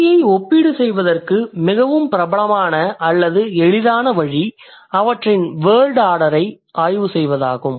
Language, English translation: Tamil, And one of the most popular or I can say the easiest way of language comparison is to study their word order